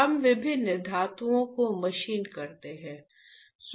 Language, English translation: Hindi, We machine the different metals, right